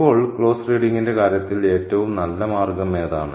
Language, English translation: Malayalam, Now, what is the best way to go about in terms of closed reading